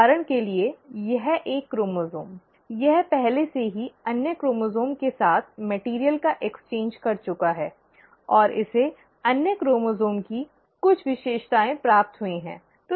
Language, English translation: Hindi, So for example, this one chromosome is actually, it has already exchanged material with the other chromosome, and it has received some features of the other chromosome